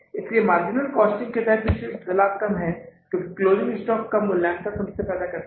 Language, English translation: Hindi, So net profit is lesser under the marginal costing because valuation of the closing stock creates a problem